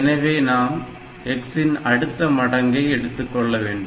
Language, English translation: Tamil, So, I have to take the next, so we have to take the next multiple of x